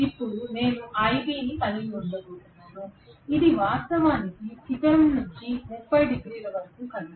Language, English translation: Telugu, Now I am going to have ib which is actually about from the peak it has moved by about 30 degrees